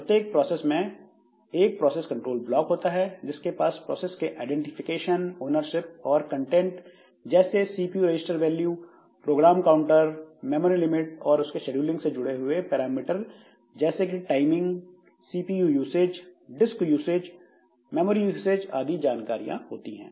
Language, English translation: Hindi, Starting with the identifier identification of the process, its ownership and all up to the context that is required like the CPU register values, then this program counter, then this memory limits, then this scheduling related parameters like your timing, the CPU usage, disk usage, memory usage, so like that